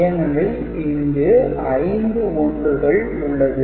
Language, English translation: Tamil, So, eventually we have got six 1s over here